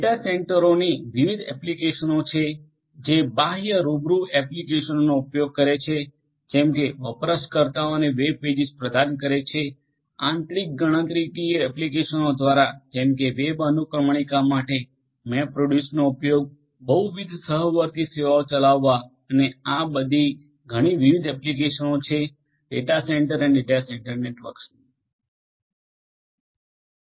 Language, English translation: Gujarati, There are different applications of data centres, sub serving outward facing applications such as serving web pages to users, through internal computational applications such as use of MapReduce for web indexing, through running multiple current concurrent services and many many more these are some of these different applications of data centre and data centre networks